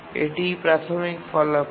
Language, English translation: Bengali, This is the basic result